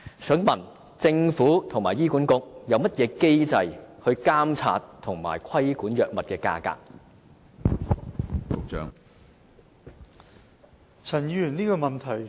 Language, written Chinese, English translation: Cantonese, 請問政府和醫管局究竟有何機制監察及規管藥物價格呢？, May I ask what mechanism the Government and HA have actually put in place to monitor and regulate the pricing of drugs?